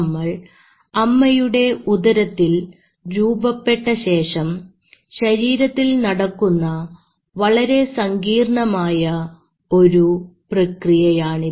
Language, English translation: Malayalam, So it is a complex process which happens in your body once we are formed